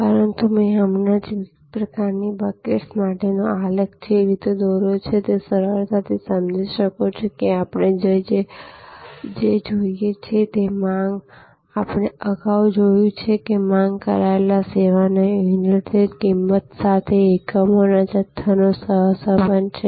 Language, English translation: Gujarati, But, the way I just now drew the graph for different types of buckets, you can easily therefore, understand, that what we are looking at is, that the demand, again this we have seen earlier that the quantity of units demanded have a correlation with price per unit of service